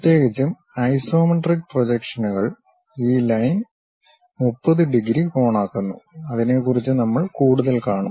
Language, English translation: Malayalam, Especially isometric projections one of the lines makes 30 degrees angle on these sides; we will see more about that